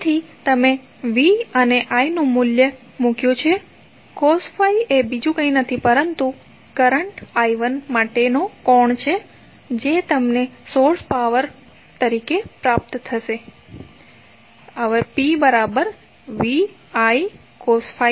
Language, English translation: Gujarati, So, you put the value of by V and I cos phi is nothing but the angle for current I 1 which you will get source power delivered as (1